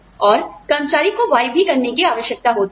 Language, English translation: Hindi, And, the employee is required to do, Y also